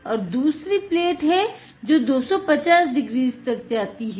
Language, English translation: Hindi, And another goes to 250 degrees